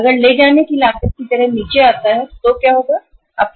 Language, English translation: Hindi, If the carrying cost comes down like this so what will happen